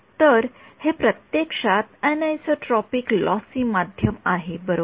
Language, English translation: Marathi, So, this is actually anisotropic lossy medium right